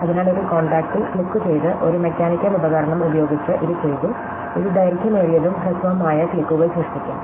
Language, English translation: Malayalam, So, this was done using a mechanical device by clicking on a contact and it will produce long and short clicks